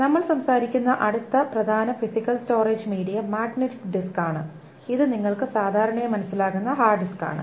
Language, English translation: Malayalam, The next important physical storage medium that we will talk about is the magnetic disk